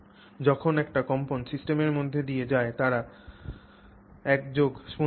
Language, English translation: Bengali, Therefore when a vibration goes through the system, they are vibrating in unition